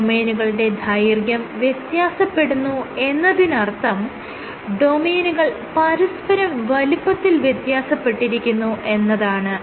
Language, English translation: Malayalam, Lengths of domains varying means the domain sizes are varying